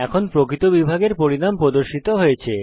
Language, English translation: Bengali, Now the result of real division is displayed